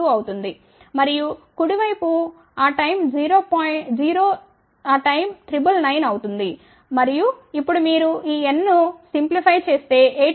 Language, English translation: Telugu, 2 and the right hand side that time would be 999 take that and now you simplify this n comes out to be 18